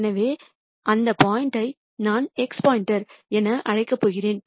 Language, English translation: Tamil, So, that point is what I am going to call as x star